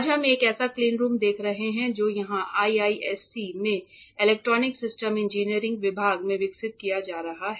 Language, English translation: Hindi, Today we are seeing one such cleanroom that is being developed here at IISc in department of electronic systems engineering